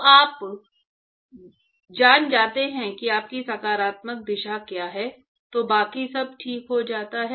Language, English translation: Hindi, So, a moment you know what is your positive direction, everything else falls into place